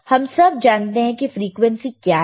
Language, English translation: Hindi, And we all know what is the frequency, we will see